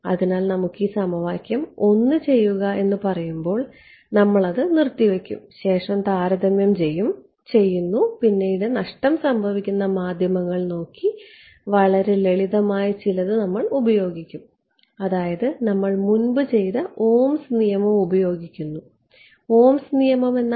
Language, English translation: Malayalam, So, when say let us just put this equation 1 we will put it on hold and we will see the comparison next look at lossy media and we will use something very simple we will use our Ohm’s law we have already done that before Ohm’s law is